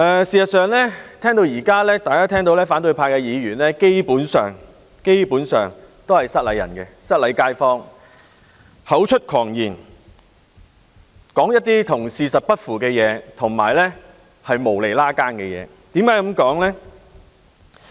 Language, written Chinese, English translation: Cantonese, 事實上，討論至此，大家聽到反對派議員的發言基本上都是"失禮街坊"的，他們口出狂言，所說的事與事實不符且毫無關係。, In fact during our discussion up to this point what we heard from the speeches given by Members from the opposition camp are basically shoddy . Not only did they talk wildly what they said is totally untrue and irrelevant